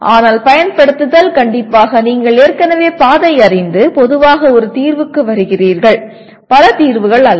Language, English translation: Tamil, Whereas apply is strictly you already the path is known and you generally come to a single point solution, not multiple solution